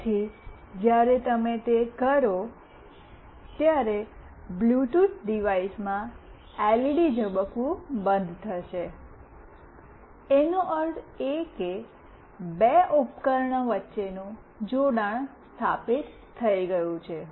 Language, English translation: Gujarati, So, when you do that, the LED in the Bluetooth device will stop blinking, that means the connection between the two device has been established